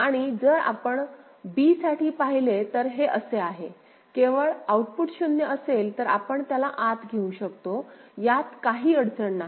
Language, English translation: Marathi, And if you see for b so this is, only case where the output is 0, so, we can take it inside there is no problem